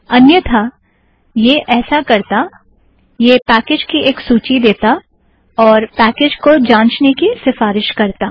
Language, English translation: Hindi, Otherwise what it will do is, it will give a list of packages and it will recommend the packages to be checked